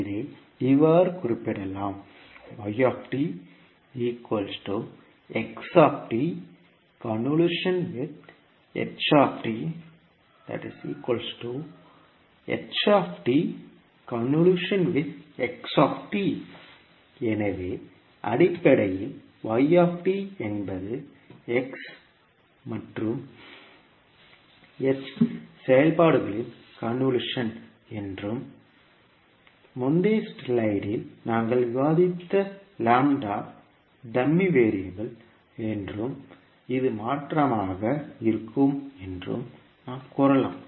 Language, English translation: Tamil, So we can say that basically the yt is convolution of x and h functions and the lambda which we discussed in the previous slide was dummy variable and this would be the convolution